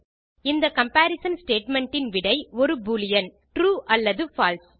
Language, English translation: Tamil, The result of this comparison statement is a boolean: true or false